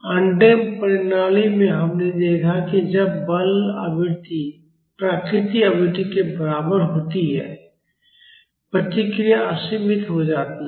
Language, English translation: Hindi, In undamped systems, we have seen that when the forcing frequency is equal to the natural frequency; the response becomes unbounded